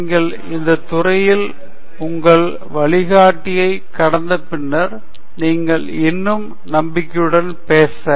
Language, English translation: Tamil, You just get past your guide in that field and then you talk more confidently